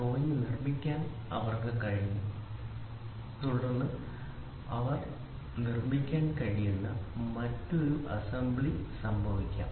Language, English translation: Malayalam, So, they were able to produce up to the drawing and then assembly could happen at a different place they could produce